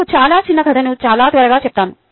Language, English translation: Telugu, ok, let me tell you a very small story very quickly